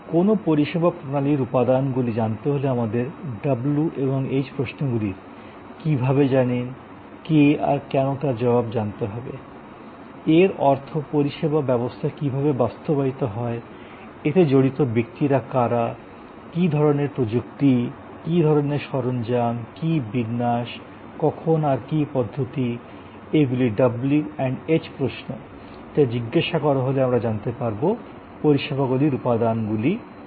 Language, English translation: Bengali, So, in sort come in to today’s topic, elements of a services system will be all the answers to the why how you know the w and h questions as we say; that means, how is the service system implemented, what who are the people who are involved, what kind of technology, what kind of equipment, what layout, when what procedure, these are the w and h questions which as to be ask to understand that what are the elements of services